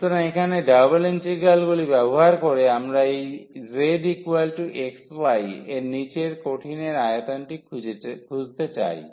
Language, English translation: Bengali, So, here the using the double integrals, we want to find the volume of the solid below this z is equal to x y